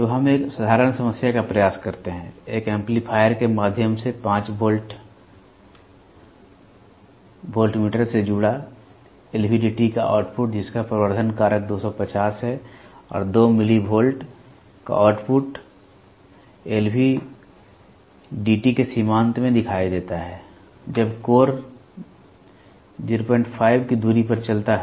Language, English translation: Hindi, So, let us try a simple problem; the output of an LVDT connected to a 5 volt voltmeter through an amplifier whose amplification factor is 250 and output of 2 millivolt appears across terminals of LVDT, when core moves at a distance of 0